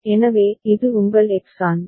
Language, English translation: Tamil, So, this is your X An